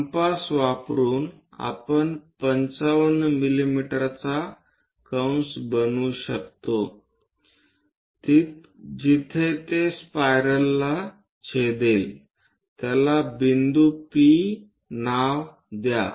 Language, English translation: Marathi, Using compass, we can make an arc of 55 mm where it is going to intersect the spiral name that point P